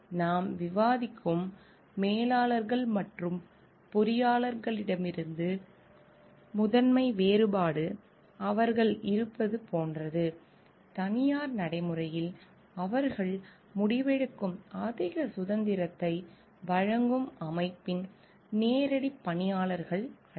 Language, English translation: Tamil, So, the primary difference from managers and the engineers that we are discussing about; it is like they are like, in private practice they are not direct employees of organization that give them a greater freedom of decision making